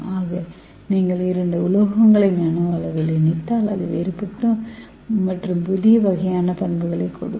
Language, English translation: Tamil, So if you combine two metals at the nano scale it will give you very good different kind of new properties